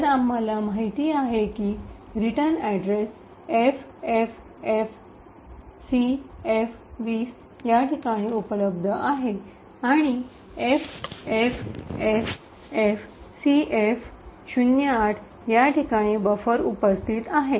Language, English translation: Marathi, So, we know that the return address is present at the location FFFFCF20 and the buffer is present at this location FFFF CF08